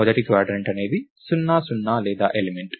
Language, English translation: Telugu, First quadrant is anything including 0, 0 or origin, right